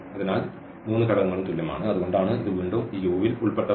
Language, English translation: Malayalam, So, all three components are equal and that that is the reason it must belong to this U again